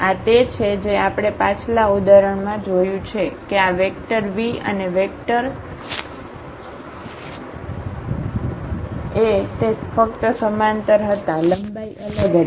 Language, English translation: Gujarati, This is what we have seen in previous example that this vector v and the vector Av they were just the parallel, the length was different